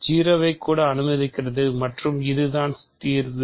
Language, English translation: Tamil, So, 0 is also allowed and the reason is solution